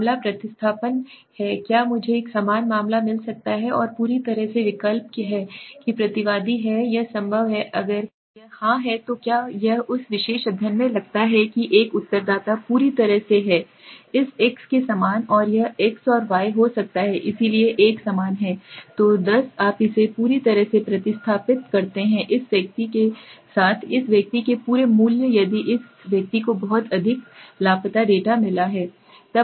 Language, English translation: Hindi, The case substitution is can I find a similar case and completely substitute that the respondent is it possible if it is yes then do it suppose in that particular study one respondents is completely similar to this x and this can be x and y so one is similar so ten you completely substitute this entire values of this person with this person if this person has got too many missing data